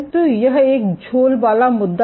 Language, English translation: Hindi, So, this is a sagging issue